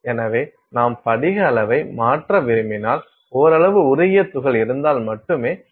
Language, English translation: Tamil, And so, if you want to do if you want to change the crystal size, you will not accomplish that if you only have a partially melted particle